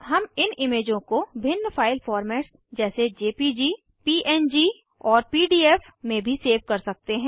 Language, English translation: Hindi, We can also save these images in different file formats like jpg, png or pdf